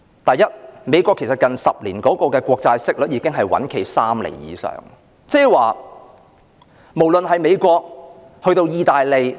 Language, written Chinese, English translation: Cantonese, 第一，美國近10年的國債息率已穩站在3厘以上，無論是美國以至意大利......, First the interest rate of Treasury bonds of the United States has remained stable at over 3 % in the last decade